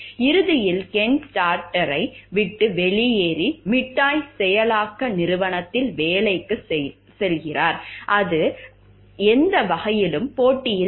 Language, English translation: Tamil, Eventually Ken leaves Stardust and goes to work for a Candy Processing Company; that is not in any way in competition